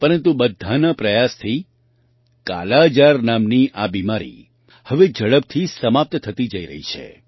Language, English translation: Gujarati, But with everyone's efforts, this disease named 'Kala Azar' is now getting eradicated rapidly